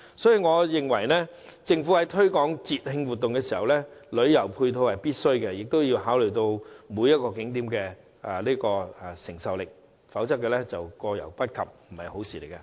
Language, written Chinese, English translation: Cantonese, 因此，我認為政府在推廣節慶活動時，必須考慮旅遊配套，亦要考慮景點的承受力，否則，過猶不及未必是好事。, Therefore in my opinion when the Government promotes festive events it should also take into consideration the necessary tourism complementary facilities and the receiving capacity of the attractions as excess is as bad as deficiency